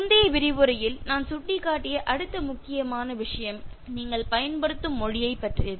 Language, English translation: Tamil, Then the next important thing which I hinted in the previous lecture about the language that you used